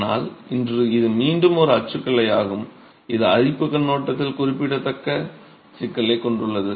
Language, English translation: Tamil, But today this is again a typology that has a significant problem from corrosion perspective